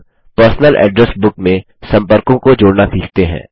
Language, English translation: Hindi, Now, lets learn to add contacts in the Personal Address Book